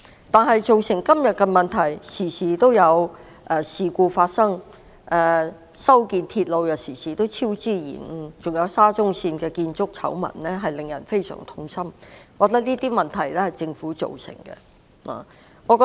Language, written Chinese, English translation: Cantonese, 但是，面對今天種種問題，包括經常發生事故，修建鐵路又經常出現超支和延誤，還有沙田至中環線的建築醜聞，實在令人感到非常痛心，我認為這些問題均由政府一手造成。, However we are very sad to see various problems today such as the frequent railway incidents cost overruns and delays of a number of railway projects as well as the Shatin to Central Link SCL construction scandals . In my opinion the Government is to blame for all these problems